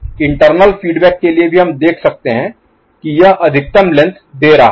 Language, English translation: Hindi, For internal feedback also we see that it is giving maximal length